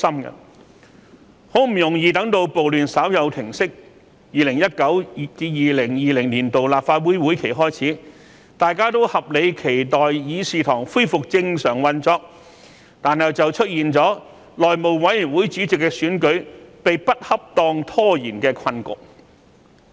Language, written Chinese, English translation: Cantonese, 很不容易待至暴亂稍有平息 ，2019-2020 年度立法會會議開始，大家都合理期待議事堂恢復正常運作，但卻出現了內會主席選舉被不恰當拖延的困局。, The situation was indeed regrettable and worrying . After a long wait the riots had slightly subsided and meetings of the Legislative Council for 2019 - 2020 commenced . While we all have the reasonable expectation that the Legislative Council would resume normal operation a predicament has occurred because the election of the Chairman of the House Committee had been improperly delayed